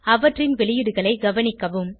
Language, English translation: Tamil, And observe their outputs